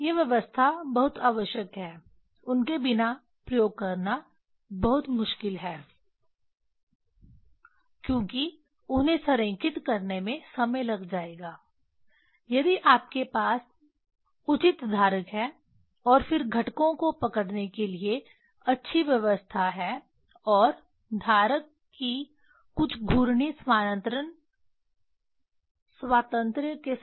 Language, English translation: Hindi, These arrangement are very essential; without them it is very difficult to do the experiment because it will be time consuming to align them if you have proper holder and then thissome good arrangement to hold the components and with some rotational translational freedom of the holder